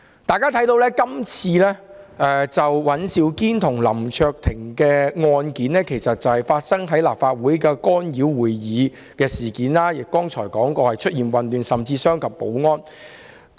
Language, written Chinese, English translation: Cantonese, 大家可以看見，今次尹兆堅議員和林卓廷議員的案件，其實是關於立法會會議受到干擾，正如我剛才所說，事件中出現混亂情況，甚至傷及保安人員。, As we can see this case of Mr Andrew WAN and Mr LAM Cheuk - ting in fact concerns disruption of a Legislative Council meeting . As I said just now during the incident chaos arose and a security officer was even injured